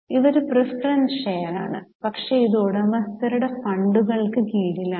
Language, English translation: Malayalam, Not equity share, this is a preference share, but this is under owner's funds